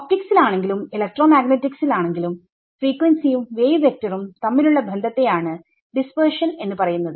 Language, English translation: Malayalam, Wherever in optics or electromagnetics you here the word dispersion it means what is the relation between frequency and wave vector that is what is meant by dispersion ok